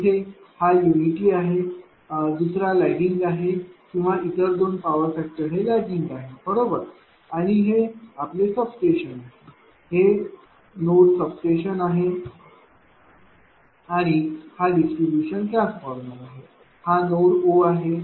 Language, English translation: Marathi, So, there one is unity, another is lagging or lagging power factor are the 12 lagging power factor right, and this is your substation this this node this is substation, and this is your distribution transformer say this node is O right